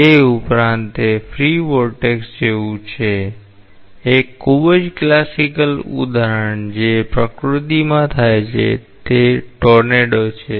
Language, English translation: Gujarati, Beyond that, it is like a free vortex a very classical example that occurs in nature is a tornado